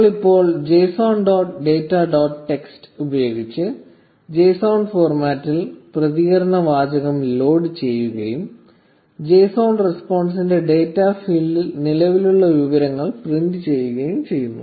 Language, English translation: Malayalam, So, we now load response text in JSON format using json dot loads data dot text and print the information present in the data field of the JSON response